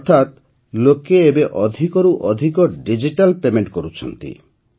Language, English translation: Odia, That means, people are making more and more digital payments now